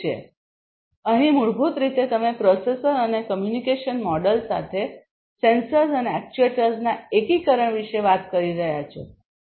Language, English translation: Gujarati, So, here basically you are talking about integration of sensors and actuators, with a processor and a communication module